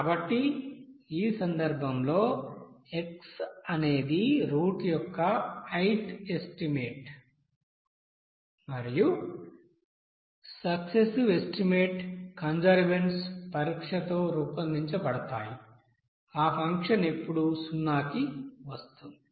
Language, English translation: Telugu, So in this case xi is the ith estimate of the root and successive estimates are then generated with a test of convergence, when that function will come to 0